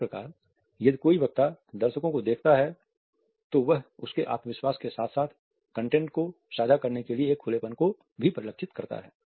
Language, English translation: Hindi, If a speaker looks at the audience it suggest confidence with the content as well as an openness to share the content with the audience